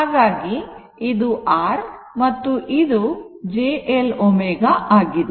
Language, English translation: Kannada, So, this is this is your R, and this is j L omega